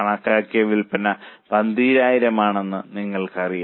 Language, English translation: Malayalam, Now you know that estimated sales are 12,000